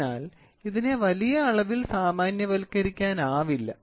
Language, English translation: Malayalam, So, it cannot be generalized to a large extent